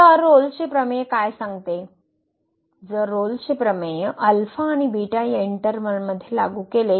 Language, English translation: Marathi, So, what Rolle’s Theorem says, if we apply the Rolle’s Theorem to this interval alpha and beta